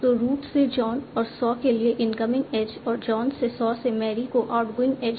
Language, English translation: Hindi, So the incoming edge from root to John and Saw and the outgoing edge from John Saw to Mary